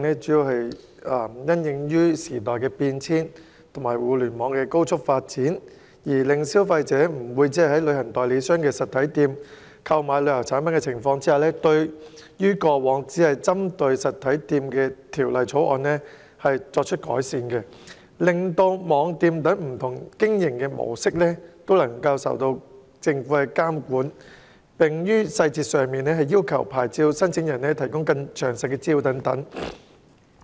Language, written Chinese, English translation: Cantonese, 隨着時代變遷及互聯網高速發展，消費者不會只在旅行代理商的實體店購買旅遊產品，因此政府提出修正案，對於過往只針對實體店的《條例草案》作出改善，令網店等不同經營模式受政府監管，並要求牌照申請人提供更詳盡的資料。, With the changes of the times and the rapid development of the Internet consumers will not only purchase travel products from the physical stores of travel agents . Therefore the Government has proposed amendments to improve the Bill that only targeted physical stores in the past so that different business modes such as online shops will be regulated by the Government and license applicants are also required to provide more detailed information